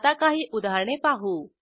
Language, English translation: Marathi, Let us see some examples